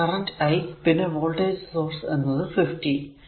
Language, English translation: Malayalam, So, and the I current voltage source is given 50